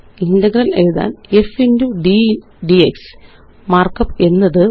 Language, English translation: Malayalam, To write Integral f x d x, the markup is,5